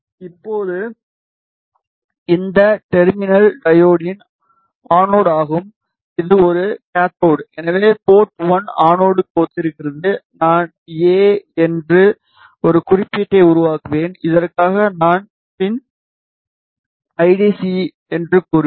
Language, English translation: Tamil, Now, this terminal is the anode of the diode this is a cathode so the port 1 corresponds to anode I will create a symbol saying A and for this I will say the pin ID as C, ok